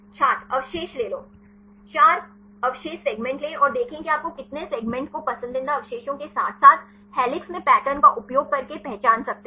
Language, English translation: Hindi, take 4 residues Take the 4 residues segment and see how many segments you can identify using preferred residues as well as the patterns in helices